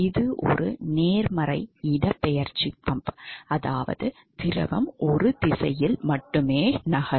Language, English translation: Tamil, So, this is a positive displacement pump; that means that the fluid will move only in one direction ok